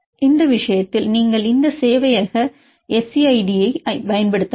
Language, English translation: Tamil, So, in this case you can use this server SCide